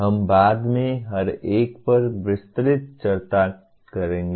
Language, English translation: Hindi, We will be elaborating on each one later